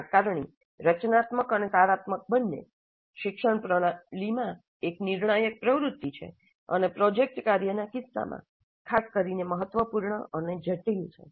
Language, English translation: Gujarati, Assessment both formative and summative is a critical activity in education system and is particularly important complex in the case of project work